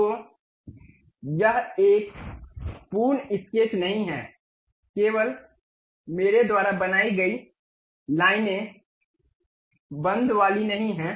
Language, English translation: Hindi, So, it is not a complete sketch, only lines I have constructed, not a closed one